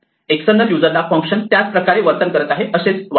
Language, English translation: Marathi, To the external user, function must behave exactly the same way